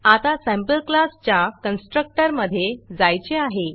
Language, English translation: Marathi, Now, I want to go into the constructor of the SampleClass